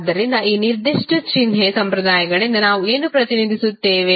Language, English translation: Kannada, So, what we represent by these particular sign conventions